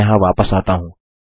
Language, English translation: Hindi, I return here